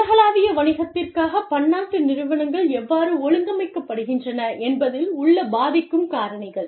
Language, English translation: Tamil, Factors that influence, how multinational enterprises organize for, global business